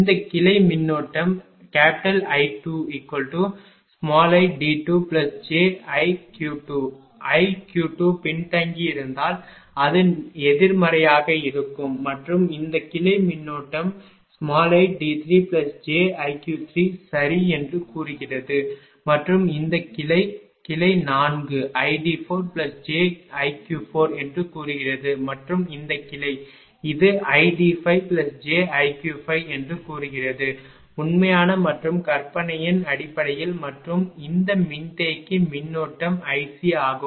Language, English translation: Tamil, This branch current say i 2 is equal to say i d 2 plus j i q 2 if it is lagging i q 2 will be negative does not matter and this branch say current is i d 3 plus j i q 3 right and this branch say branch 4 i d 4 plus j i q 4 and this branch say it is i d 5 plus j i q 5 these are in terms of real and imaginary and this capacitor current is i C